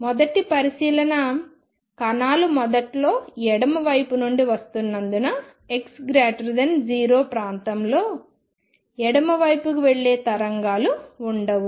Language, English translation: Telugu, So, first observation since initially the particles are coming from the left there will be no waves going to the left for x greater than 0 region